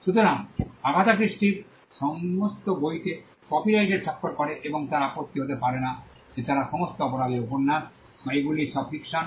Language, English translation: Bengali, So, copyright subsist in all the books of Agatha Christie and they cannot be an objection that they are all crime novels, or they are all works of fiction